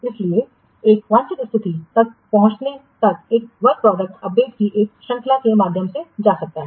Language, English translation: Hindi, So, till reaching a desired state, a work product may go through a series of updates